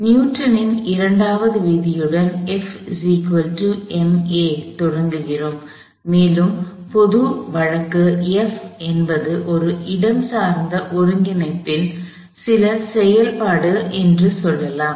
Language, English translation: Tamil, We still start with Newton’s second law and let say the general case F is some function of a spatial coordinate